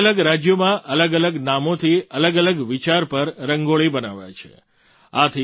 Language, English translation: Gujarati, Rangoli is drawn in different states with different names and on different themes